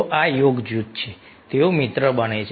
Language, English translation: Gujarati, so this, this is yoga group, they become friend